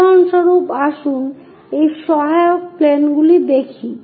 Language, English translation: Bengali, For example, let us look at this auxiliary planes